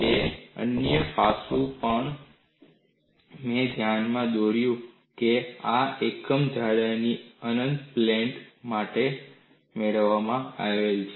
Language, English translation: Gujarati, Another aspect also, I pointed out that this is obtained for an infinite panel of unit thickness